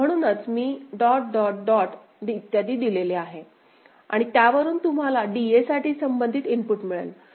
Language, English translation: Marathi, So, that is why I have given dot dot dot and so, and from that, you can get the corresponding input for DA